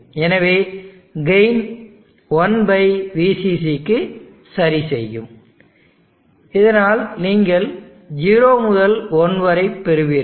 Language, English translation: Tamil, So the gain will adjust such that it is 1/VCC, so that you will get 0 to 1